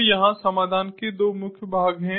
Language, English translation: Hindi, so here there are two main parts of the solution